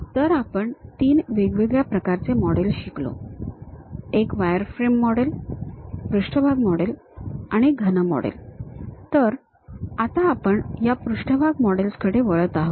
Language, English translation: Marathi, So, we learned about there are three varieties: one wireframe model, surface models and solid models; so, now, we are going for this surface models